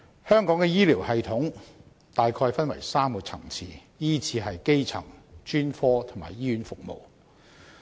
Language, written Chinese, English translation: Cantonese, 香港的醫療系統大概分為3個層次，依次是基層、專科及醫院服務。, Hong Kongs health care system can be roughly divided into three tiers primary health care specialist services and hospital services